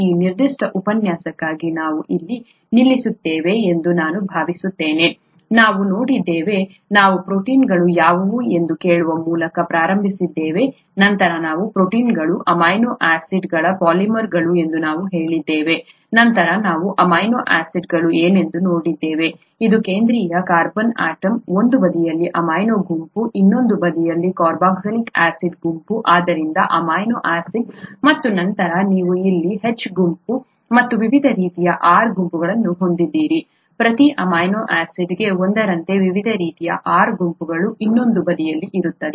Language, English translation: Kannada, I think we will stop here for this particular lecture, we saw, we started out by asking what proteins were, then we said that proteins are polymers of amino acids, then we saw what amino acids were, it has a central carbon atom, an amino group on one side, a carboxylic acid group on the other side, so amino acid, and then you have a H group here, and various different types of R groups, one for each amino acid on the other side